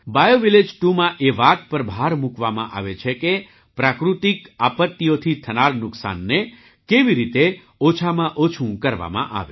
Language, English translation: Gujarati, BioVillage 2 emphasizes how to minimize the damage caused by natural disasters